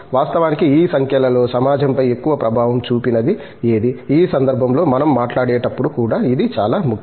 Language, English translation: Telugu, Among the numbers, which are the ones which have made more impact on the society of course, itÕs also important when we talk about in this context